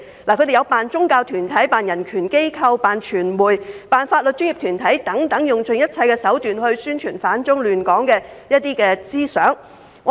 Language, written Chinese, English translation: Cantonese, 他們假扮宗教團體、人權機構、傳媒和法律專業團體等，用盡一切手段來宣傳反中亂港思想。, They disguised as religious groups human rights associations as well as media and legal professional organizations and publicized the idea of opposing China and stirring up trouble in Hong Kong by all means